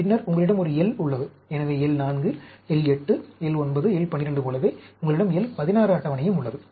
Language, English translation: Tamil, Then, you have a L… So, just like L 4, L 8, L 9, L 12, you also have L 16 table